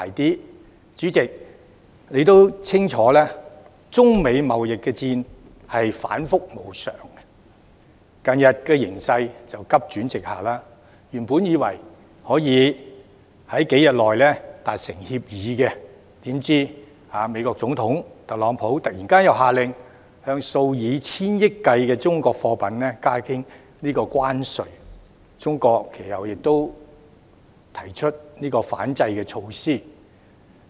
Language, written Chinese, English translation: Cantonese, 代理主席，你也清楚，中美貿易戰反覆無常，近日形勢更急轉直下；原本以為可以在數天內達成協議，怎料美國總統特朗普突然下令向數以千億元計的中國貨品加徵關稅，中國其後亦推出反制措施。, Deputy Chairman as you also know well the China - United States trade war has recently taken a sharp turn for the worse which exemplifies the dramatic vagaries in its development . While an agreement could supposedly be reached within a few days the United States President Donald TRUMP suddenly ordered tariffs on billions of dollars in Chinese goods and China introduced countermeasures afterwards